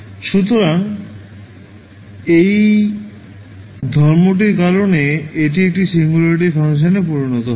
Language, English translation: Bengali, So, because of this property this will become a singularity function